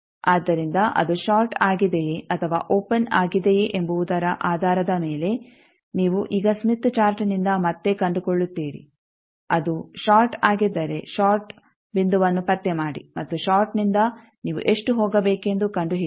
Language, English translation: Kannada, So, depending on whether it is short or open, you now find again from smith chart, locate the if it is shorted locate the short point and from short you find out how much to go